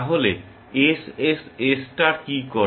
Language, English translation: Bengali, So, what does SSS star do